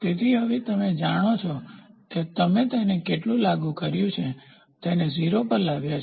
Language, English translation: Gujarati, So, now you know how much have you applied such that brought it to 0